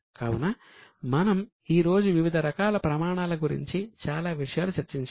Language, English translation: Telugu, So, here we have discussed today various information about various types of standards